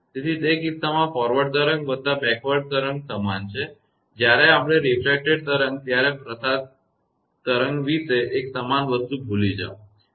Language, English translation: Gujarati, So, in that case it is equal to forward wave plus backward wave; when we refracted wave, forget about transmitted wave one same thing